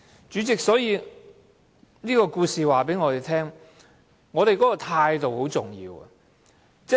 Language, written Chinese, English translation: Cantonese, 主席，這故事告訴我們，態度很重要。, President this story tells us that attitude is the key